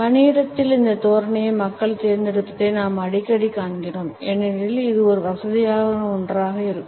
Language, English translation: Tamil, In the work place, we often find people opting for this posture because it happens to be a comfortable one